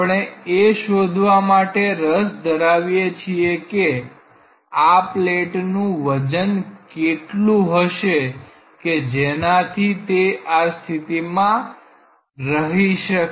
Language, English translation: Gujarati, We are interested to find out, what should be the weight of this plate to keep it in such a position ok